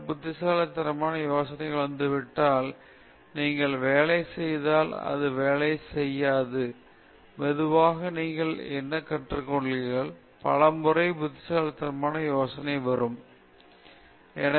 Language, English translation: Tamil, If some brilliant idea is coming, and you work on it, and it doesn’t work, then slowly what do you learn is, far many times brilliant idea will come, but which brilliant, which of these brilliant ideas I have to pursue is something you will have to figure out